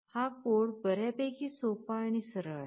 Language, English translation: Marathi, This is the code that is fairly simple and straightforward